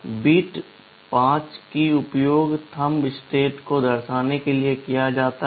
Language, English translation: Hindi, Bit 5 is used to denote thumb state